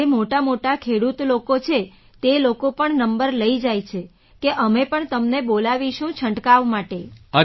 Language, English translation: Gujarati, Those who are big farmers, they also take our number, saying that we would also be called for spraying